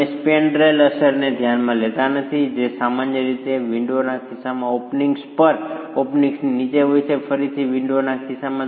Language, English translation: Gujarati, You are not considering the effect of the spandrel that is typically present above the openings in the case of a window and below the openings again in the case of a window